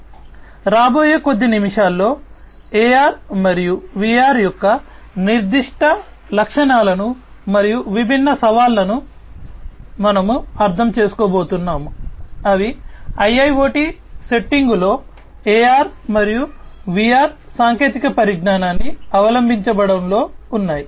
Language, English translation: Telugu, So, in the next few minutes, we are going to understand the specific attributes of AR and VR and the different challenges, that are there in the adoption of AR and VR technologies in IIoT settings